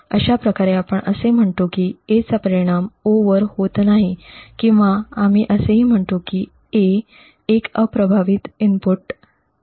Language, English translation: Marathi, Thus, in this case we say that A does not affect the output O or we also say that A is an unaffecting input